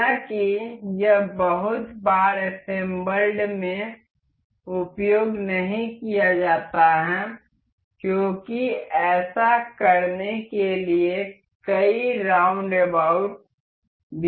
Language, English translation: Hindi, However, this is not very frequently used in assemblies, because there are many roundabouts too for doing that